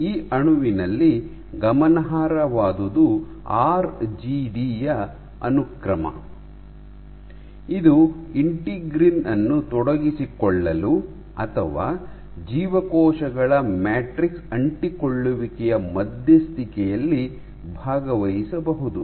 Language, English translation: Kannada, So, notable in this molecule is the sequence of RGD which has been shown to engage integrins or participate in mediating cell matrix adhesion